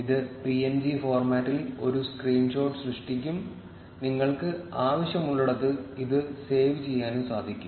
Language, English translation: Malayalam, This will generate a screen shot in png format, and you can save it anywhere you want